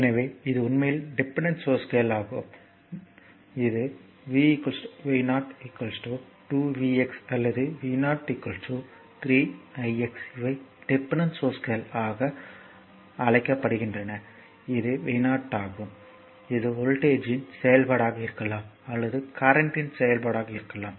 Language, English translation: Tamil, So, this is actually dependent source that your v is equal to you r v 0 is equal to 2 v x or v 0 is equal to 3 i x these are called dependent source that is v 0 in case it may be function of voltage or may be function of current also right